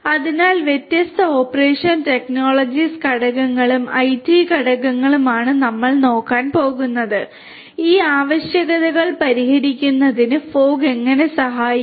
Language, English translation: Malayalam, So, different operation technologies factors and IT factors is what we are going to look at and how fog can help in addressing these requirements